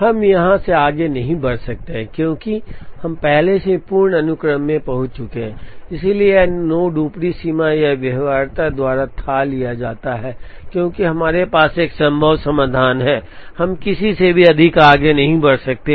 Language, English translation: Hindi, We cannot proceed from here, because we have already reached the full sequence, so this node is fathomed by upper bound or by feasibility, because we have a feasible solution there, we cannot proceed any more